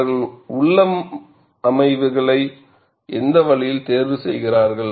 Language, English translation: Tamil, And what way they choose the configurations